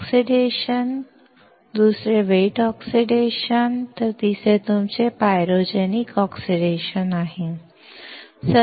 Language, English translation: Marathi, First is dry oxidation, second wet oxidation, while the third one is your pyrogenic oxidation